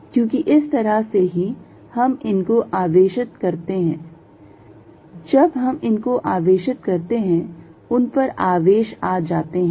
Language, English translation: Hindi, Because, that is how we charge them, when we charge them charged moved on to them